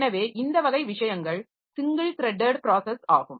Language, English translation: Tamil, So, this is this type of thing is a single threaded process